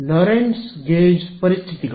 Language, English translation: Kannada, Lorentz gauge conditions right